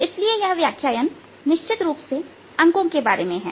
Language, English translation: Hindi, so this lecture essentially about numbers